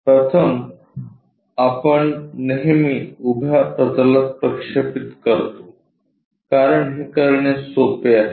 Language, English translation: Marathi, First, we always project it on to the vertical plane because, that is easy thing to do